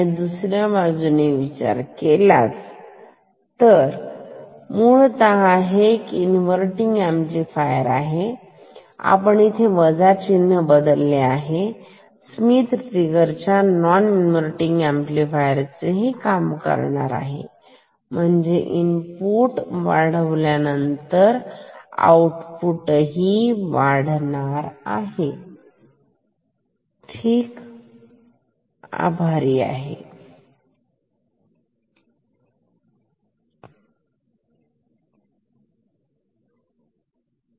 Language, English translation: Marathi, On the other hand, in this circuit which was originally an inverting amplifier when we change the plus minus sign; this behaves like a non inverting Schmitt trigger which means output also increases, if input increases